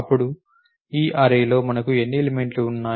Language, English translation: Telugu, Now, in this array what are the how many elements do we have